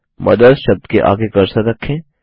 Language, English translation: Hindi, Place the cursor after the word MOTHERS